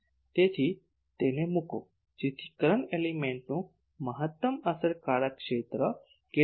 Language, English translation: Gujarati, So, put it so what is the maximum effective area of the current element